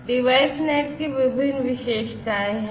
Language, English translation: Hindi, So, there are different features of DeviceNet